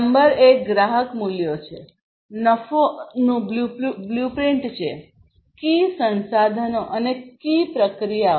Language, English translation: Gujarati, Number one is the customer values, blueprint of profits; key resources and key processes